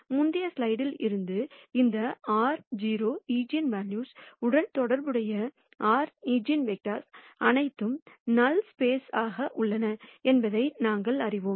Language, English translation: Tamil, And from the previous slide, we know that the r eigenvectors corresponding to this r 0 eigenvalues are all in the null space ok